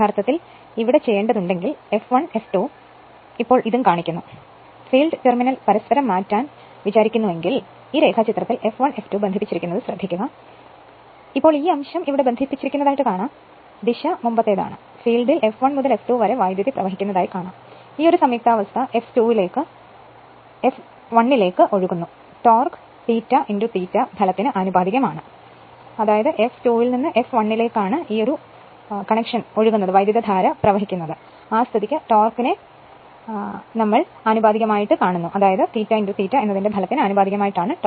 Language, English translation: Malayalam, So, if you want to if you want to here also, it is shown your what you call F 1 F 1 F 2 and this thing now, if you want to interchange the I mean, if you interchange the field terminal then, if you see this diagram F 1 F 2 connected, but now this point is connected here and this point is connected here this is; that means, your direction or this is the earlier, it was your what you call current was flowing in the field from F 1 to F 2, this connection is flowing F 2 to F 1 and torque is proportional to your product of the your your, we have seen that product of your phi into I a right